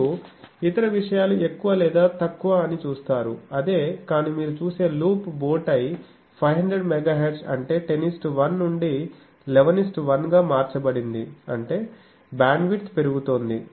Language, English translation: Telugu, You see other things are more or less same, but loop bowtie you see 500 Megahertz is 10 is to 1 has been changed to 11 is to 1 that means, the bandwidth is increasing